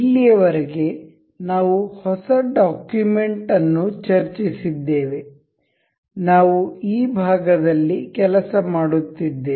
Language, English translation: Kannada, Up till now we have discussed the new document, we were we have been working on this part